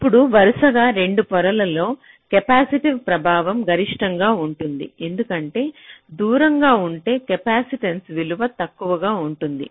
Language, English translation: Telugu, now, across two consecutive layers, the capacitive affect will be the maximum, because if there are further, if away, the value of the capacitance will be less